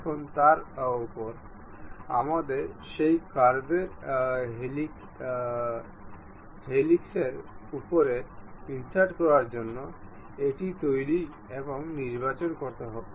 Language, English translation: Bengali, Now, on that we have to construct select this one go to insert on top of that curve helix